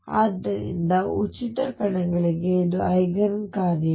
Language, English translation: Kannada, So, for free particles this is the Eigen functions